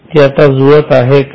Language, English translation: Marathi, Now is it matching